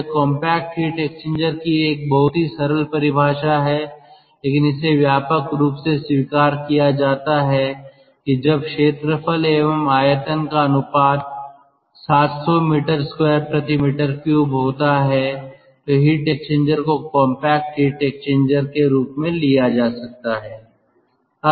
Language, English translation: Hindi, this is some sort of loose ah definition of compact heat exchanger, but it is widely accepted that when the area to volume ratio is seven hundred meter square per meter cube, then the heat exchanger can be taken as a compact heat exchanger